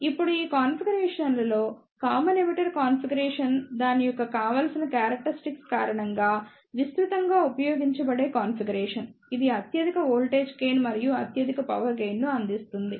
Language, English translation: Telugu, Now, among these configuration, common emitter configuration is the most widely used configuration due to its desirable characteristics like it provides highest voltage gain and highest power gain